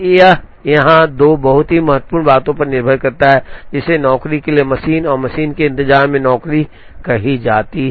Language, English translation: Hindi, It depends on 2 very important things here, which is called job waiting for the machine and machine waiting for the job